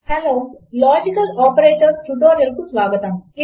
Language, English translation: Telugu, Hello and welcome to a tutorial on Logical Operators